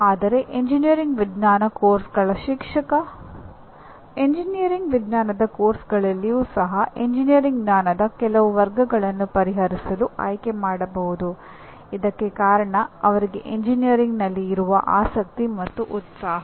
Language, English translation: Kannada, But a teacher of this engineering science courses may choose because of his interest and passion for engineering may choose to address some categories of engineering knowledge even in engineering science courses